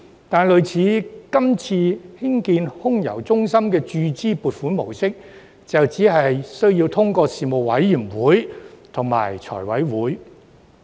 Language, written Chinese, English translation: Cantonese, 但是，類似今次興建空郵中心的注資撥款模式，就只須諮詢相關事務委員會及交由財委會審批。, However cases with funding in the form of capital injection like AMC only need to go through the consultations with relevant Panels and the approval of FC